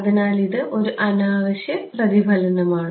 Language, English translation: Malayalam, So, this is a I mean unwanted reflection